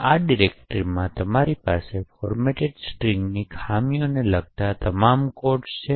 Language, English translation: Gujarati, In this directory you have all the codes regarding the format string vulnerability